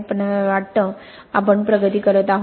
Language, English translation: Marathi, But I think, I think we are making progress